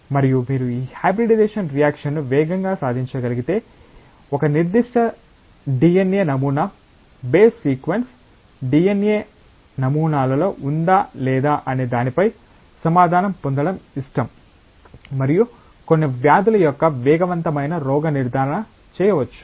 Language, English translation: Telugu, And if you can achieve this hybridisation reaction fast, then it is possible to like get an answer whether a particular DNA sample base sequence is there in a DNA sample or not and a rapid diagnosis of certain diseases can be made